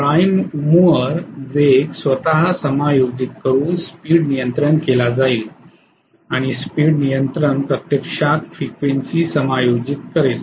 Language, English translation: Marathi, The speed will be control by adjusting the prime mover speed itself and speed control will adjust actually the frequency